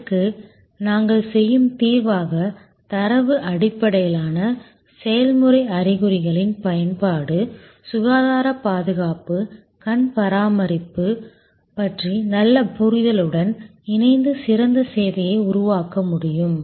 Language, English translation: Tamil, The solution that we do this is what application of data based process signs combined with good understanding of health care, eye care one can create service excellence